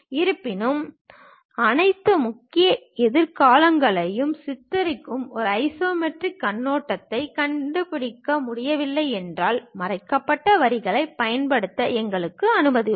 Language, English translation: Tamil, However, if an isometric viewpoint cannot be found that clearly depicts all the major futures; then we are permitted to use hidden lines